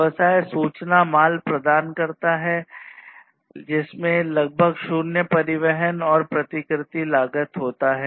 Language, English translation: Hindi, So, business providing information goods has virtually zero transportation and replication cost